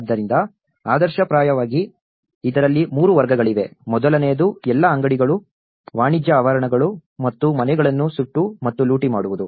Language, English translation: Kannada, So, ideally there are 3 categories of this; one is the first was burning and looting all the shops, commercial premises and houses